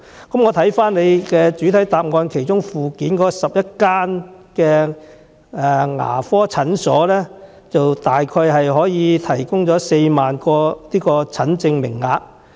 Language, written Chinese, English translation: Cantonese, 根據主體答覆附件所載，全港11間牙科診所大約可以提供4萬個診症名額。, According to the Annex to the main reply the 11 dental clinics in Hong Kong can provide a consultation quota of about 40 000